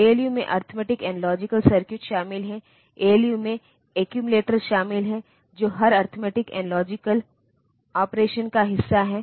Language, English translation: Hindi, So, the ALU so, they in addition to arithmetic and logic circuits the ALU includes the accumulator which is part of every arithmetic and logic operation